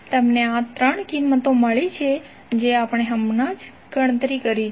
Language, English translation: Gujarati, You have got these 3 values that what we calculated just now